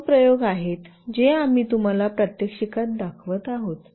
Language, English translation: Marathi, These are the two experiments that we will be showing you in the demonstration